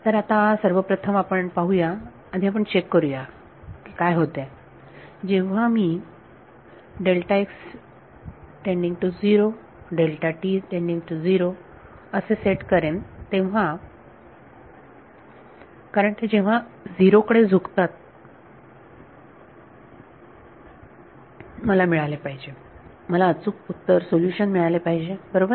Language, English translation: Marathi, Now, let us see first of all let us first check what happen when I set delta x and delta t tending to 0 because when they tend to 0, I should I should get the correct solution right